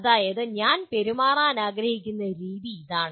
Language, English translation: Malayalam, That is, this is the way I wish to behave